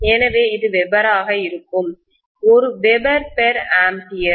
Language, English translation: Tamil, So this will be weber, ampere per weber